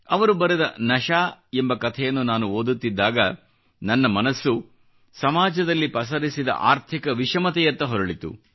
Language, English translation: Kannada, While reading one of his stories 'Nashaa', I couldn't help but notice the scourge of economic disparity plaguing society